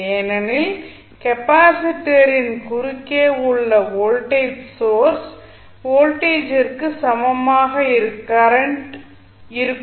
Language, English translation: Tamil, The value of voltage across capacitor would be equal to the voltage vs that is the source voltage